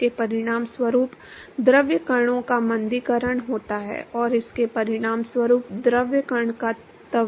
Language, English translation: Hindi, This results in the deceleration of the fluid particles and this results in the acceleration of the fluid particle